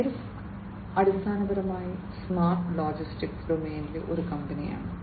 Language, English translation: Malayalam, Maersk is basically a company in the smart logistics domain